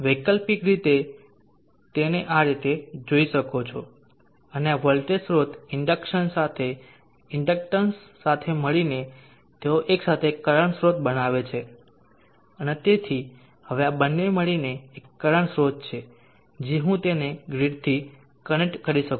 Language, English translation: Gujarati, Alternately you can view it as this voltage source along with the inductance in conjunction with the inductance together they would form a current source and therefore now these two together is current source which I can connect to the grid